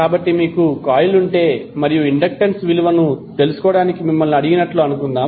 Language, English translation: Telugu, So, suppose if you have a coil like this and you are asked to find out the value of inductance